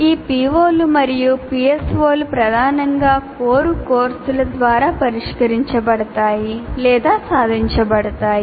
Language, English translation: Telugu, And these POs and PSOs are mainly addressed or attained through core courses